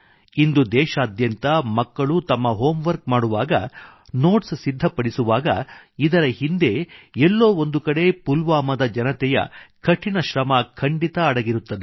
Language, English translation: Kannada, Today, when children all over the nation do their homework, or prepare notes, somewhere behind this lies the hard work of the people of Pulwama